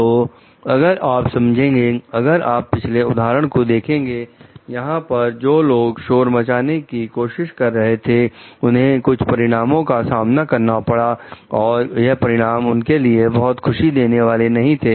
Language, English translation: Hindi, So, if you understand like if you see in previous examples, where like people with who tried to whistle blow have faced certain consequences, which were not very like happy consequences for them